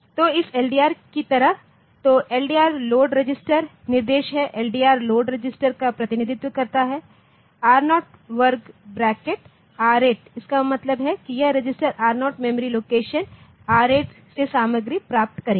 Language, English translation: Hindi, So, like this LDR, so LDR instruction is the load register LDR stands for load register load register R0 within square bracket R8 means this register 0 will get the content from memory location R8 ok